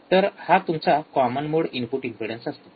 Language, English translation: Marathi, So, that will be your common mode input impedance